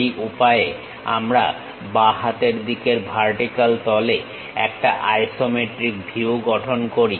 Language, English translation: Bengali, This is the way we construct isometric view in the left hand vertical face